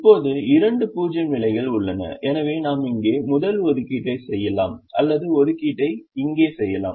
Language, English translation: Tamil, now there are two zero positions, so we can either make the assignment here in the first position or we can make the assignment here